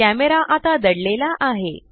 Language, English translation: Marathi, The camera is now hidden